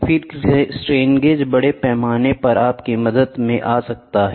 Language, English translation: Hindi, Then, the strain gauges comes up in your help in big way the strain gauges